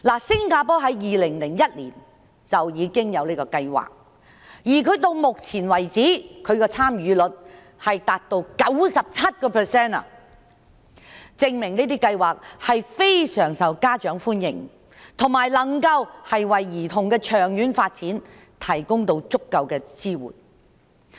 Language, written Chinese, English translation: Cantonese, 早在2001年，新加坡便已有類似的計劃，而到目前為止，參與率達到 97%， 證明計劃非常受家長歡迎，以及能夠為兒童的長遠發展提供足夠的支援。, Singapore established a similar plan in as early as 2001 and so far the participation rate reached 97 % which proves that the plan is very popular with parents and can provide sufficient support for the long - term development of children